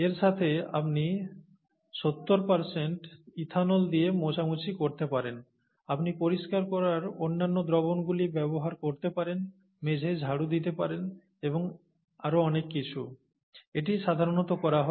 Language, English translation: Bengali, But in addition, you could swab with, let us say, seventy percent ethanol, you could use other cleaning solutions; mop the floors and so on so forth, that's normally done